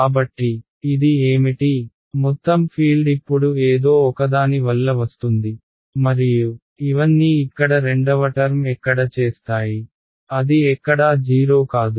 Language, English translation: Telugu, So what is this saying, the total field is now coming due to something that was originally there and where do all of these the second term over here; where is it non 0